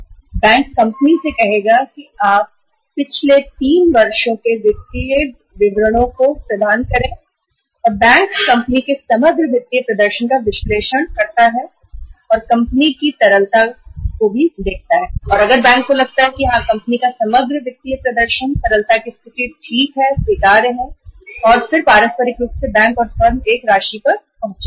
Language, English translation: Hindi, Bank would ask the company to provide the 3 uh previous you call it as years’ financial statements and bank could analyze overall financial performance of the company, liquidity performance of the company and everything and if bank feels that yes company’s overall financial performance, liquidity position is okay, acceptable then mutually bank and firm would arrive at an amount